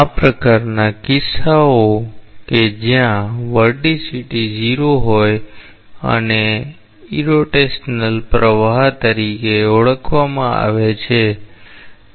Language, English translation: Gujarati, These types of cases where the vorticity is 0 is known as irrotational flow